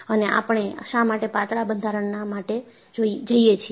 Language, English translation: Gujarati, And, why we go for thin structures